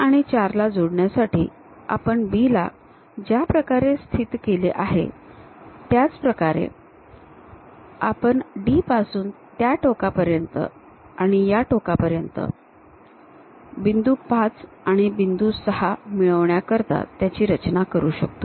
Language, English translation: Marathi, The way how we have located B to connect 3 and 4, similar way one can even construct from D all the way to that end and all the way to this end to track 5 point 5 and 6 points